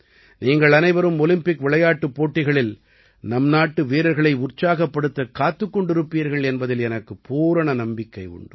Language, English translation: Tamil, I am sure that all of you would also be waiting to cheer for the Indian sportspersons in these Olympic Games